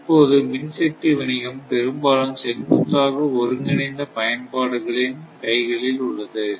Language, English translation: Tamil, So, the electric power business at present is largely in the hands of vertically integrated utilities